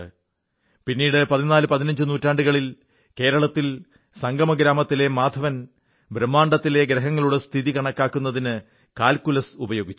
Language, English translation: Malayalam, Later, in the fourteenth or fifteenth century, Maadhav of Sangam village in Kerala, used calculus to calculate the position of planets in the universe